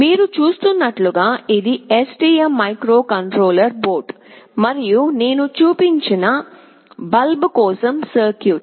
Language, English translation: Telugu, As you can see this is your STM microcontroller board and the circuit for the bulb that I have shown